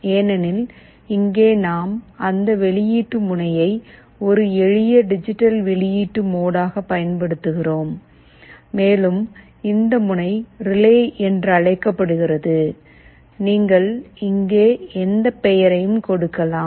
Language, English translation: Tamil, Because, here we are using a simple digital output mode of that output pin and we are calling this pin as “relay”, you can give any name here